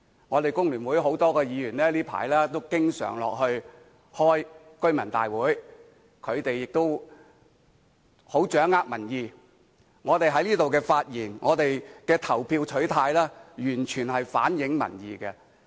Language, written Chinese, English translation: Cantonese, 我們工聯會很多議員最近都經常落區開居民大會，掌握民意，我們在議會內的發言及投票取態，完全是反映民意的。, Many Members belonged to the Hong Kong Federation of Trade Unions have frequently attended residents meetings in the community recently with a view to collecting the peoples opinions . Therefore the speeches we made and the votes we casted in the Council do totally reflect the peoples opinions